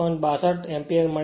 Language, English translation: Gujarati, 62 ampere right